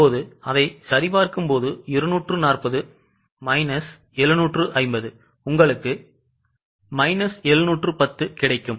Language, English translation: Tamil, Now just cross check it plus 240 minus 750 you will get minus 710